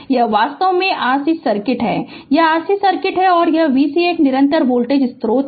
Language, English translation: Hindi, This is actually your RC circuit, this is RC circuit and V s is a constant voltage source